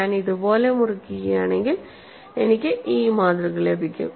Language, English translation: Malayalam, And when you cut like this, what happens